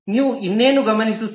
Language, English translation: Kannada, What else do you observe